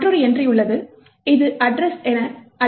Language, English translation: Tamil, You have another entry which is known as the address